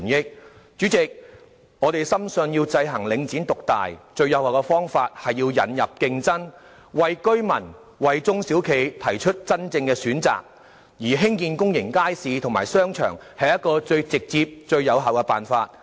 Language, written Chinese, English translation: Cantonese, 代理主席，我們深信，要制衡領展獨大，最有效的方法是引入競爭，為居民及中小企提供真正選擇，而興建公眾街市及商場是最直接而有效的辦法。, Deputy President we believe that to counteract the market dominance of Link REIT the most effective approach is to introduce competition which in turn provides real choices to residents and small and medium enterprises and the most direct and effective way is to build public markets and shopping arcades